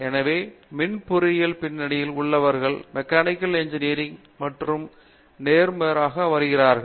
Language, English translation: Tamil, So, people with backgrounds in Electrical Engineering are coming into Mechanical Engineering and vice versa